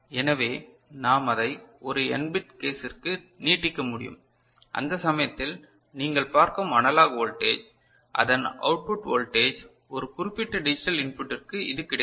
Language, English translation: Tamil, So, we can extend it to a n bit case and in that case the output voltage over here analog output that you see, for a particular combination of the digital input will be given by this one right